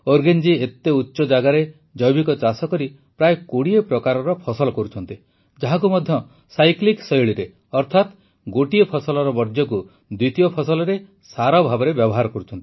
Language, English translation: Odia, At those heights Urugen is growing about 20 crops organically, that too in a cyclic way, that is, he utilises the waste of one crop as manure for the other crop